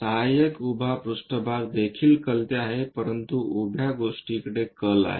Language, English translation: Marathi, Auxiliary vertical plane is also inclined, but inclined to vertical thing